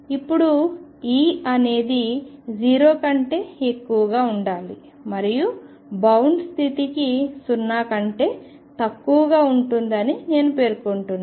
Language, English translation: Telugu, Now I am claiming that E should be greater than 0 and it is less than 0 for bound state